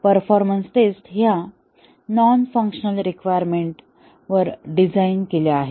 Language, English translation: Marathi, The performance tests are designed based on the non functional requirements in a requirements document